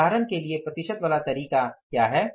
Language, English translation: Hindi, For example, now what is a percentage term